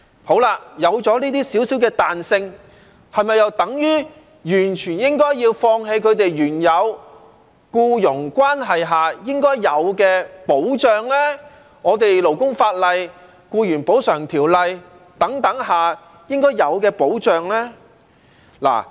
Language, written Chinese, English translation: Cantonese, 好了，有了這些少少的彈性，是否又等於完全應該要放棄他們在原有僱傭關係中應該有的保障，以及我們勞工法例、《僱員補償條例》等法例下應該有的保障呢？, Well does it mean that they should relinquish all their due protection under a rightful employment relationship and also the due protection accorded by our labour laws and legislation such as the Employees Compensation Ordinance only in return for such little flexibility?